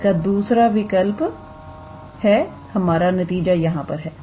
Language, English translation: Hindi, Alternatively, so, our result is done here